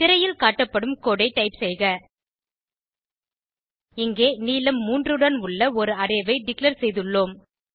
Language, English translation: Tamil, Type the code as shown on the screen Here, we have declared an Array of length 3